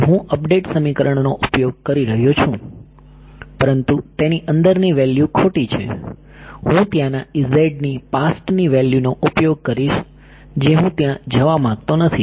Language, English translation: Gujarati, So, I am using the update equation, but the value inside it is wrong, I would be using the past value of E z over there I do not want to do